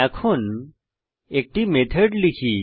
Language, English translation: Bengali, Let us now write a method